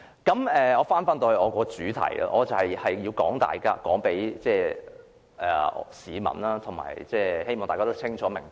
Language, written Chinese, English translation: Cantonese, 返回我的主題，我想告訴各位市民，我的立場是中立的，希望大家清楚明白。, Back to my point . I wish to tell members of the public that my stance is neutral . I hope they will understand it clearly